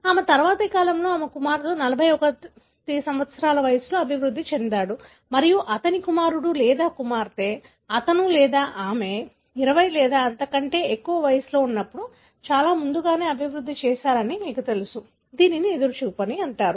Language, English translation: Telugu, In her next generation, her son developed around 41 years and his son or daughter, you know, developed it much earlier, when he or she is around 20 or earlier, right and this is called as anticipation